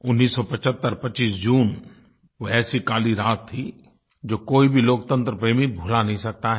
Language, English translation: Hindi, 1975 25th June it was a dark night that no devotee of democracy can ever forget